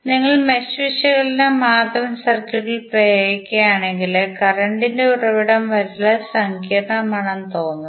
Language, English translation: Malayalam, If you apply mesh analysis to the circuit only the current source it looks that it is very complicated